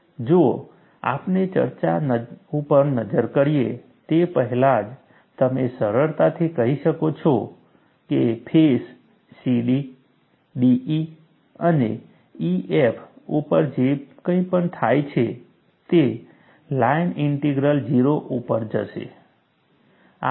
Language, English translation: Gujarati, See, even before we look at the discussion, you can easily say that, whatever happens on the face C D, D E and E F the line integral go to 0